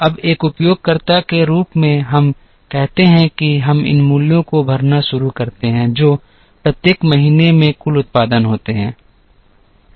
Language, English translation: Hindi, Now, as a user let us say that we start filling these values which are the total production in each month